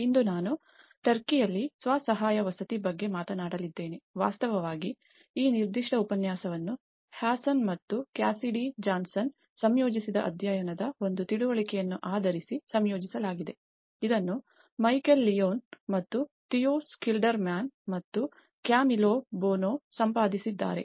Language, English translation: Kannada, Today, I am going to talk about self help housing in Turkey in fact, this particular lecture has been composed based on the understanding from one of the chapter which is composed by Hassan and Cassidy Johnson inbuilt back better, which was edited by Michael Leone and Theo Schilderman and Camillo Boano